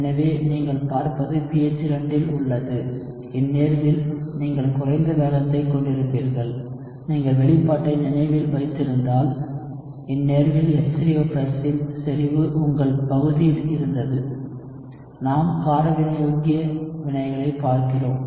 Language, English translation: Tamil, So, what you would see is at pH 2, in this case, you will have a lower rate, if you remember the expression, in this case, the H3O+ concentration was in your denominator, and we are looking at a base catalyzed reaction